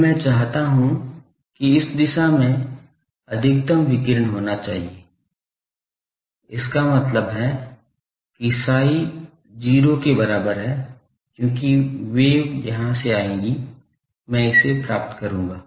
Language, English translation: Hindi, Now, I want that in this direction, I should have maximum radiation, in this direction; that means, that psi is equal to 0, because wave will come from here, I will get it